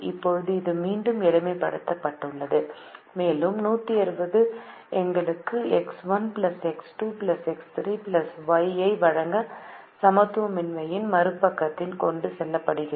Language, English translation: Tamil, now this is again simplified and the hundred and sixty is taken to the other side of the inequality to give us x one plus x two plus x three plus y one greater than or equal to two forty